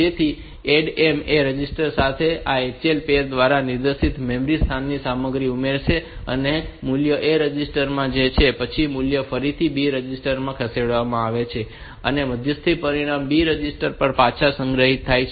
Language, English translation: Gujarati, So, add M will add the contents of the memory location pointed to by this H L pair with the A register, and the value is in the A register and then the value is again move to the B register the intermediary res result is stored back onto the B register